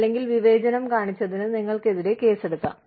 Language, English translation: Malayalam, Otherwise, you could be sued, for being discriminatory